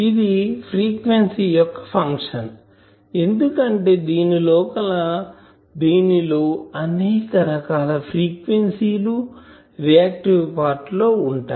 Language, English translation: Telugu, Now it is generally a function of frequency because all these things, that are different frequency the reactive part etc